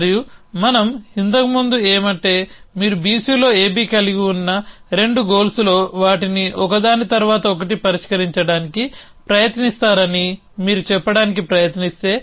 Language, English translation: Telugu, And what we so earlier was that if you try to say that of the 2 goals that I have on A B on B C I will try to solve them 1 by 1